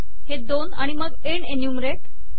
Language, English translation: Marathi, These two and then end enumerate